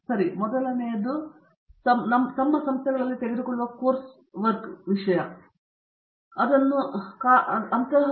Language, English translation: Kannada, Okay so the first one can be termed in terms of the course work what they take in their institutes and then in IIT